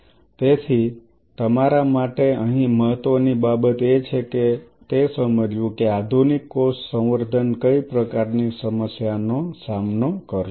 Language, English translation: Gujarati, So, what is important here for you is to understand the kind of problems what the modern cell culture will be dealt